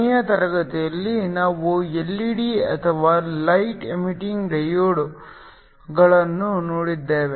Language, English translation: Kannada, Last class we looked at LED’s or light emitting diodes